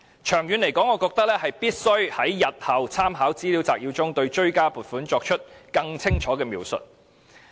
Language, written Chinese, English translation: Cantonese, 長遠而言，我認為政府日後必須在立法會參考資料摘要中對追加撥款的原因作出更清楚的描述。, In the long run I consider it necessary for the Government to describe clearly the reasons for supplementary appropriations in the Legislative Council Brief in future